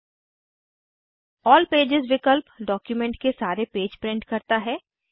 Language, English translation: Hindi, All pages option prints all the pages in the document